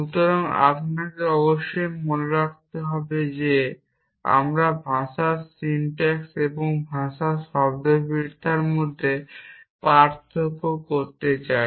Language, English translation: Bengali, So, you must keep in mind that we want to distinguish between the syntax of the language and the semantics of the language and do you not do you